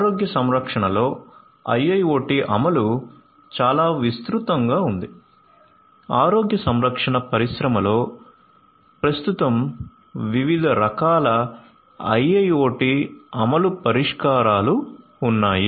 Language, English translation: Telugu, IIoT implementation in healthcare is quite perceptive; there are large number of different IIoT implementation solutions in the healthcare industry that exist at present